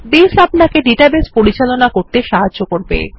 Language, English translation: Bengali, Base helps you to manage databases